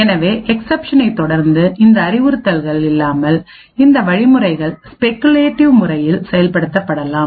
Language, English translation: Tamil, So it may happen that these instructions without these instructions following the exception may be speculatively executed